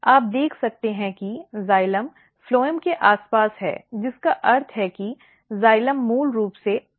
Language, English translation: Hindi, So, you can see here xylem is surrounding the phloem which means that xylem is basically adaxial side